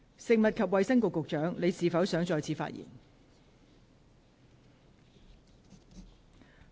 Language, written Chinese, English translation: Cantonese, 食物及衞生局局長，你是否想再次發言？, Secretary for Food and Health do you wish to speak again?